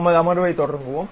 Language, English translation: Tamil, Let us begin our session